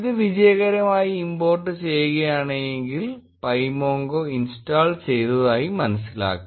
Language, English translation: Malayalam, If it successfully gets imported, pymongo has been installed